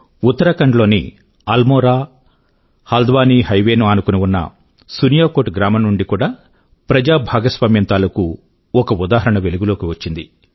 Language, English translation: Telugu, Village Suniyakot along the AlmoraHaldwani highway in Uttarakhand has also emerged as a similar example of public participation